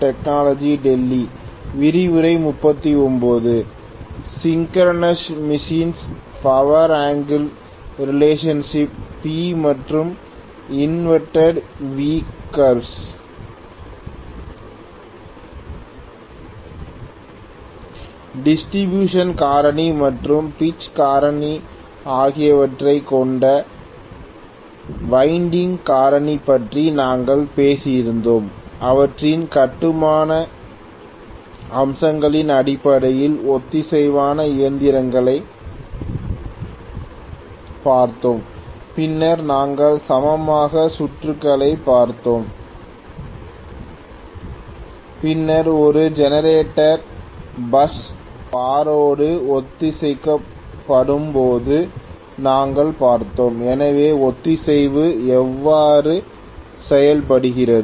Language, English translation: Tamil, Okay, we had looked at synchronous machines in terms of their constructional features in which we had talked about winding factor which is consisting of distribution factor and pitch factor, then we had looked at equivalent circuit then we had also looked at when a generator is synchronized with the bus bar, so how synchronization is done